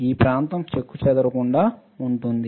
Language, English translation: Telugu, This area will be intact